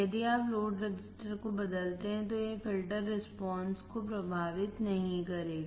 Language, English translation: Hindi, If you change the load resistor, it will not affect the filter response